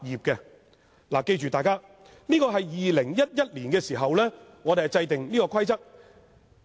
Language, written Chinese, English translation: Cantonese, 請大家記住，這是在2011年制訂的規定。, We should bear in mind that the PI Rules were enacted in 2011